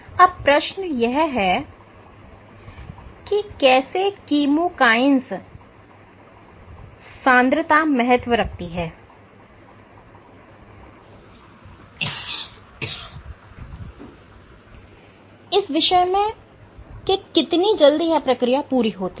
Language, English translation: Hindi, So, how does the chemokine concentration matter in terms of how fast it takes the process to complete